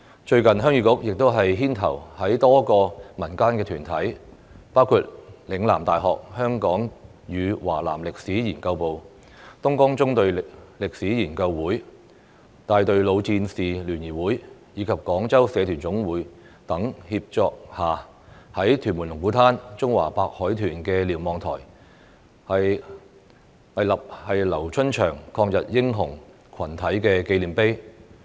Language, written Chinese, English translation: Cantonese, 最近，新界鄉議局亦牽頭在多個民間團體，包括嶺南大學香港與華南歷史研究部、東江縱隊歷史研究會、大隊老戰士聯誼會，以及香港廣州社團總會等協作下，在屯門龍鼓灘中華白海豚瞭望台，豎立"劉春祥抗日英雄群體"紀念碑。, The Heung Yee Kuk New Territories has recently taken the lead in erecting a monument to the LIU Chunxiang Anti - Japanese War Hero Group at Lung Kwu Tan Chinese White Dolphin Lookout in Tuen Mun with the collaboration of various community groups including the Hong Kong and South China Historical Research Programme of Lingnan University the East River Column History Research Association the Society of Veterans of the Battalion and the Hong Kong Federation of Guangzhou Associations